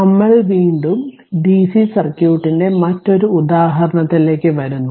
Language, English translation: Malayalam, So again we come to another example looked for DC circuit